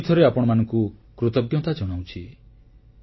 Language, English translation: Odia, I again want to express my gratitude to you all